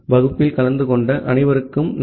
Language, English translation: Tamil, Thank you all for attending the class